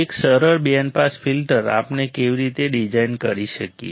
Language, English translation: Gujarati, A simple band pass filter, how we can design